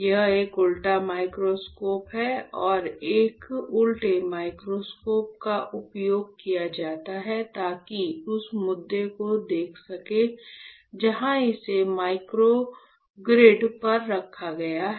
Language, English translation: Hindi, Here you can see there is an inverted microscope and an inverted microscope is used so that you can see that issue where when it is placed on the microgrid ok